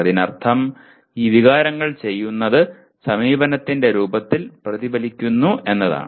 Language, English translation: Malayalam, That means what these feelings do is if the, it reflects in the form of approach